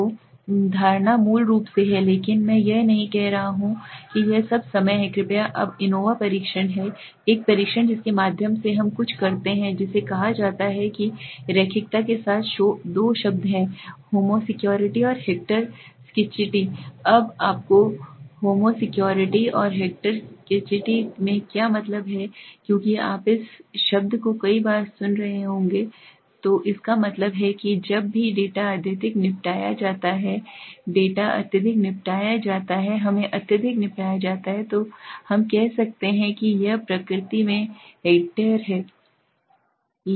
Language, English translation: Hindi, So the assumption basically but I am not saying it is all the time right please now anova test is one test through in which we do something called a there are two terms with linearity one is homo scarcity and hector scarcity now what do you mean by homo scarcity and hector scarcity because you must have be listening to this words many times so it means that whenever the data is highly disposed the data is highly disposed let us say highly disposed then we say it is hector in nature